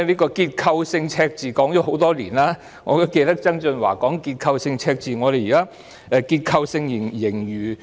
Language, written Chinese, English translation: Cantonese, 結構性赤字說了很多年，我記得曾俊華也多番提到香港會有結構性赤字。, A structural deficit has been mentioned for many years . I remember that John TSANG had repeatedly pointed out that Hong Kong would run into a structural deficit